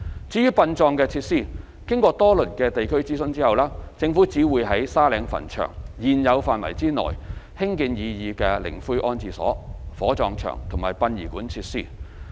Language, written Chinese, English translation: Cantonese, 至於殯葬設施，經過多輪地區諮詢後，政府只會在沙嶺墳場現有範圍內興建擬議的靈灰安置所、火葬場和殯儀館設施。, As for funeral facilities after several rounds of local consultations the Government will construct the proposed columbarium crematorium and funeral facilities only within the existing Sandy Ridge Cemetery